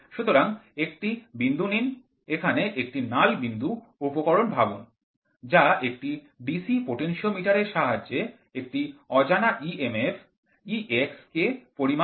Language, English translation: Bengali, So, consider a point, consider here a null point instrument that is the DC potentiometer which is an unknown emf E x is measured